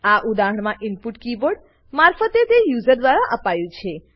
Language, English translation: Gujarati, In this example, input is given from the keyboard by the user